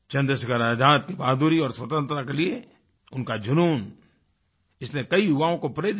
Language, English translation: Hindi, Azad's courage and passion for freedom inspired the youth of the day